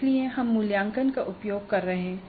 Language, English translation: Hindi, So we are using the assessment